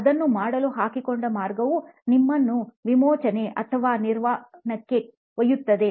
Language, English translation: Kannada, The way you want to do it the path forward which sets you to liberation or Nirvana